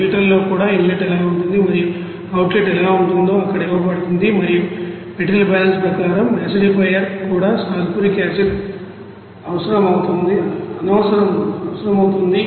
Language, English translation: Telugu, Even in filter what will be the inlet and what will be the outlet is given there and acidifier also as per material balance what will be the sulfuric acid required also it is given